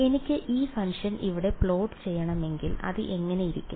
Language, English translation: Malayalam, If I want to plot this function over here what will it look like